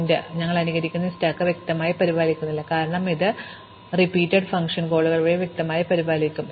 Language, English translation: Malayalam, So, we do not have to explicitly maintain this stack that we were simulating, because it will be implicitly maintained by the recursive function calls